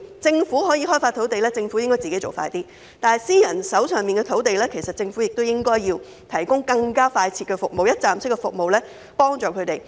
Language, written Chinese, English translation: Cantonese, 政府可以開發土地，應該加快處理，但私人發展商手上的土地，政府亦應以更加快捷的一站式服務提供幫助。, While the Government can develop land and expedite the process it should also provide more expedient one - stop services to help private developers deal with their land